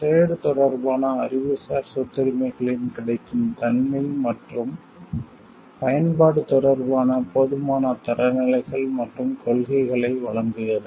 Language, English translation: Tamil, The provision of adequate standards and principles concerning the availability scope and use of trade related Intellectual Property Rights